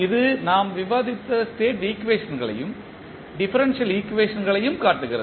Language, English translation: Tamil, And this shows the state equations so which we discussed and the differential equation